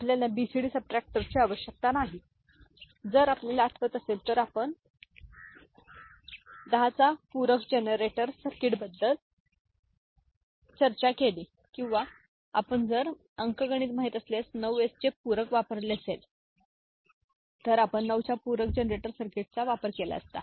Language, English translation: Marathi, You do not need for BCD subtractor if you remember, we discussed 10s complement generator circuit or if we had used 9s complement you know arithmetic, we would have used 9’s complement generator circuit